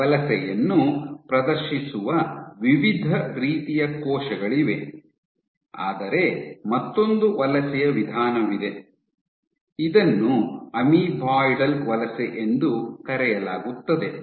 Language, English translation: Kannada, There are various types of cells which exhibit this migration, but you also have another mode of migration which is called Amoeboidal Migration